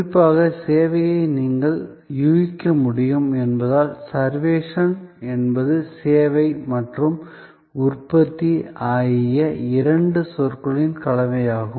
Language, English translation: Tamil, Particularly to highlight the point, as you can guess servuction is a combination of two words service and production